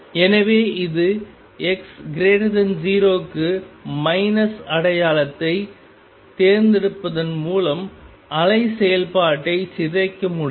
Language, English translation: Tamil, And therefore, this for x greater than 0 by choosing the minus sign I can make the wave function decay